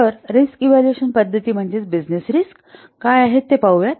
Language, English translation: Marathi, So let's see what are the risk evaluation methods, particularly business risks